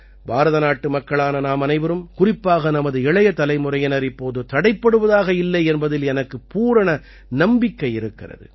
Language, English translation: Tamil, I have full faith that we Indians and especially our young generation are not going to stop now